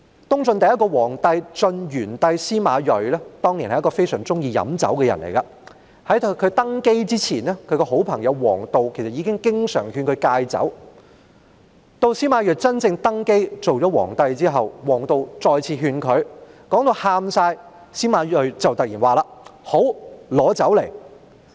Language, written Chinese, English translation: Cantonese, 東晉第一個皇帝晉元帝司馬睿是一個非常喜歡喝酒的人，在他登基之前，他的好朋友王導經常勸他戒酒，當司馬睿正式登基後，王導再次聲淚俱下地規勸他，司馬睿便突然說："好，拿酒來。, SIMA Rui Emperor Yuan of Jin who was the first emperor of the Eastern Jin Dynasty was very fond of drinking wine . His good friend WANG Dao often advised him to give up alcohol before he ascended the throne . WANG Dao persuaded him to give up alcohol again with tearful pleas after SIMA Rui had officially ascended the throne